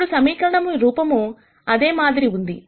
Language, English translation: Telugu, Now the form of the equation will be very similar